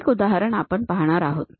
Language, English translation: Marathi, One example we are going to see